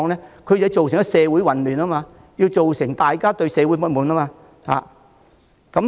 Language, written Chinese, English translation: Cantonese, 便是要造成社會混亂，令大家對社會不滿。, For the sake of generating social chaos and provoking social discontent